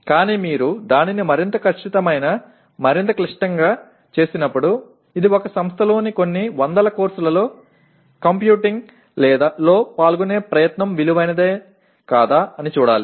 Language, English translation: Telugu, But the only thing is when you make it more precise, more complicated you should see whether the, it is the effort involved in computing across few hundred courses in an institution is it worth it or not